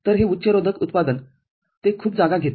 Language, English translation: Marathi, So, this high resistance manufacturing it takes lot of space